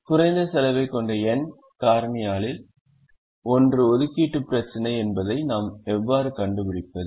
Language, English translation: Tamil, how do we find that one out of the n factorial that has the least cost is the assignment problem